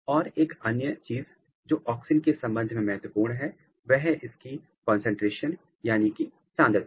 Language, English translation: Hindi, And, another thing which is important with respect to auxin is its concentration